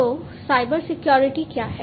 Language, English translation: Hindi, So, what is Cybersecurity